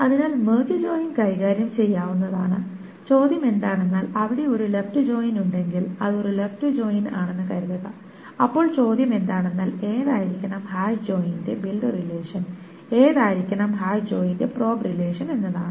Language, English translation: Malayalam, The question then is if it is a left joint, suppose it's a left joint, the question is which one should be the build relation and which one should be the probe relation for the hash joint